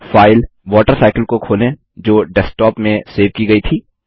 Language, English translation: Hindi, Let us open the file WaterCycle that was saved on the Desktop